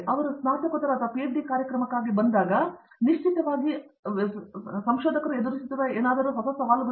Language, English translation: Kannada, When they come for a masters or a PhD program, are there still certain I mean, are there certain challenges that they face